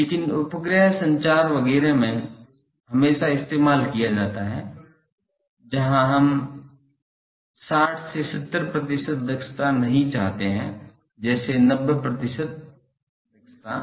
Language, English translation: Hindi, But, invariably used in satellite communications etcetera where we want not 60 70 percent efficiency something like 90 percent efficiency